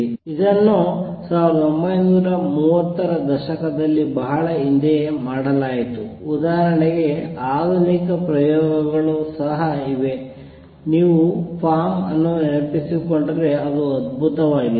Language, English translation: Kannada, This was done long ago in 1930s modern experiments are also there for example, if you recall form it was great